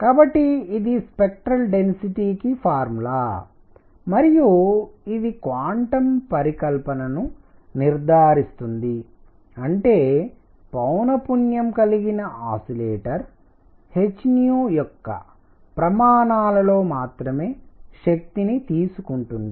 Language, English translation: Telugu, So, this is the formula for the spectral density and it confirms quantum hypothesis that is that the oscillator with frequency nu can take energies only in units of h nu